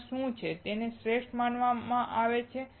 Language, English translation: Gujarati, What is it there that they are considered best